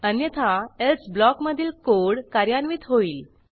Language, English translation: Marathi, Otherwise, the code within else block is executed